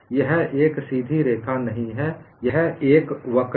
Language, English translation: Hindi, It is not a straight line; it is a curve; this is a curve